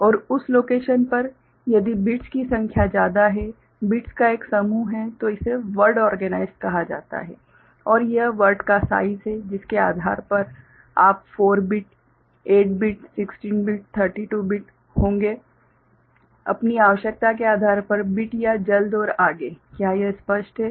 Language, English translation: Hindi, And in that location if number of bits are there ok, a group of bits are there then it is called word organized and it is the size of the word, depending on which you will be having 4 bit, 8 bit, 16 bit, 32 bit or so on and so forth depending on your requirement, is it clear